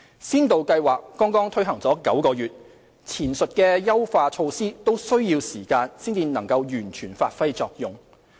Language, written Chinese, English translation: Cantonese, 先導計劃剛推行了9個月，前述的優化措施都需要時間才能完全發揮作用。, The Pilot Scheme has only been launched for nine months and the above mentioned refinement measures require time to test out their full effect